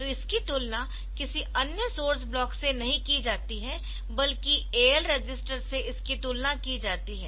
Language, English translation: Hindi, So, it is not compared with any other source block, but it is compared with the AL register